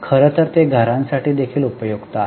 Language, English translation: Marathi, In fact, they are also useful for households